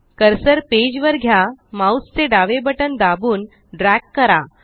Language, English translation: Marathi, Move the cursor to the page, press the left mouse button and drag